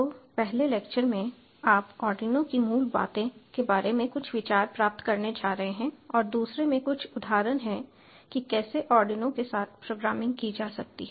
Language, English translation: Hindi, so in the first lecture you are going to get some of the ideas about the basics of arduino and in the second one some of the examples about how the programming can be done with ardinio